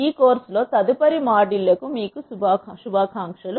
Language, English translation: Telugu, Wish you all the best for the next modules in this course